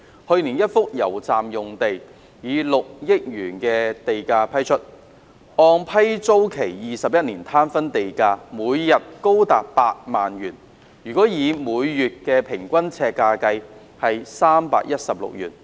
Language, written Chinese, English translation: Cantonese, 去年一幅油站用地以 6.2 億元地價批出，按批租期21年攤分的地價，每日高達8萬元或每月每平方呎316元。, Last year a PFS site was granted at a land premium of 620 million which when amortized over a 21 - year lease term amounted to as high as 80,000 per day or 316 per square foot per month